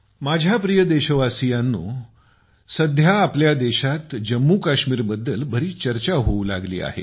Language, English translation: Marathi, My dear countrymen, nowadays there is a lot of discussion about Jammu and Kashmir in our country